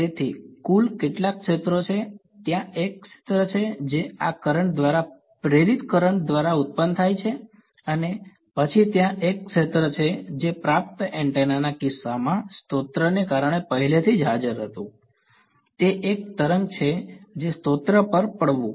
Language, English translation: Gujarati, So, how many total fields are there, there is the field that is produce by this current by the induced current and then there is a field that was already present due to a source in the case of a receiving antenna it is a wave that is falling on the source